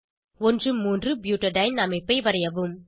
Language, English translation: Tamil, Let us draw 1,3 butadiene structure